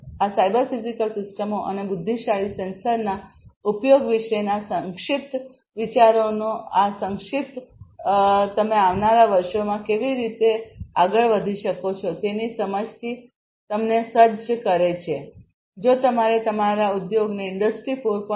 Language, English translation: Gujarati, So, this brief of brief idea about cyber physical systems and the use of intelligent sensors basically equips you with an understanding of how you can go forward in the years to come, if you have to make your industry compliant with Industry 4